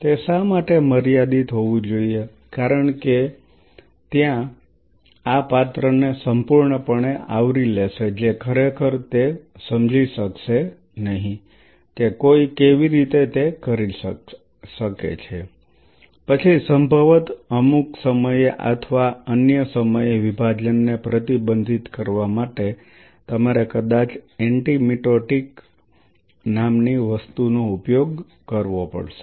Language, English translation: Gujarati, Why it has to be finite because otherwise this is going to completely cover the dish will not be able to really figure it out how one can do so then possibly at some point or other in order to restrict the division you may have to use something called an anti mitotic